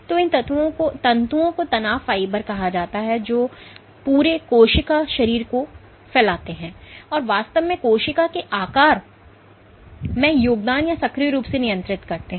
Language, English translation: Hindi, So, these filaments are called stress fibers which span the entire cell body, and actually contribute or actively regulate the shape of the cell